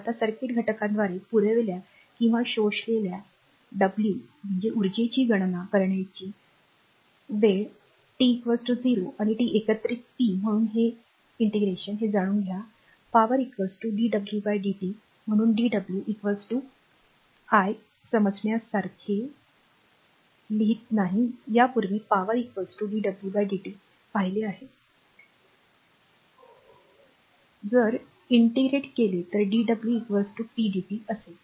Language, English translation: Marathi, Now to calculate the energy w, supplied or absorbed by a circuit element between time say t 0 and t we integrate power therefore, we know that power is equal to your dw by dt right therefore, dw is equal to I am not writing understandable, earlier we have seen the power is equal to dw by dt So, dw will be is equal to pdt if you integrate